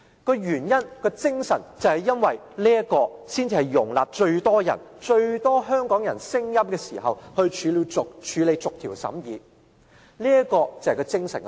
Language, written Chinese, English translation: Cantonese, 這樣做的理由和精神是，可以在容納最多香港人聲音的時候，進行逐項審議，這是有關安排精神所在。, The reasons for and the spirit of this arrangement is to allow the clause - by - clause examination to capture as many voices of Hong Kong people as possible . This is the spirit of the arrangement